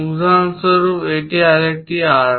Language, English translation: Bengali, For example, this is another arc